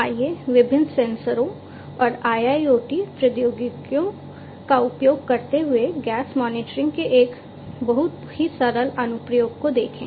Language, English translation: Hindi, Let us look at a very simple application of gas monitoring using different sensors and IIoT technologies